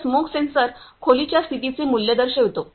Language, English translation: Marathi, So, smoke sensor show the value of the room condition